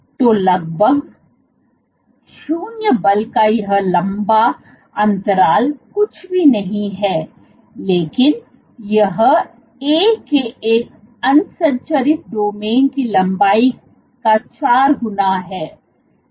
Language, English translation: Hindi, So, this long gap of almost 0 force is nothing, but 4 times the length of one unstructured domain of A